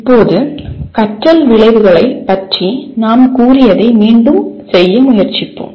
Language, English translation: Tamil, Now, once again we will try to repeat what we have stated about learning outcomes